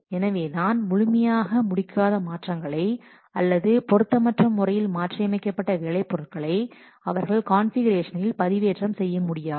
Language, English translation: Tamil, Therefore, incompletely modified or improperly modified or inaccurately modified work products, they cannot be updated in the configuration